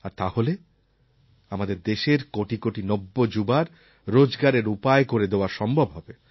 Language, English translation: Bengali, Through this we can provide new employment opportunities to several million young people in India